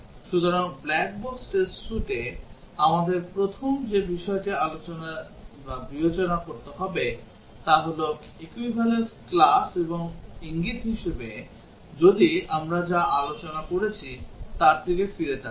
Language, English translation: Bengali, So, in the black box test suite, the first thing we have to consider is the equivalence class and as a hint if, if you look back at what we discussed